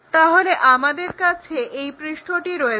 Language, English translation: Bengali, So, we will have this surface